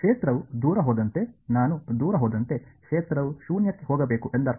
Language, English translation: Kannada, As the field goes far away, I mean as I go far away the field should go to 0